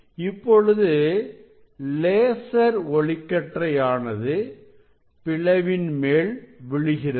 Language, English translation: Tamil, this laser beam is falling on the slit